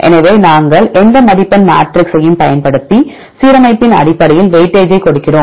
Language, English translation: Tamil, So, we use any scoring matrix and then we give the weightage based on these align positions and you can calculate the score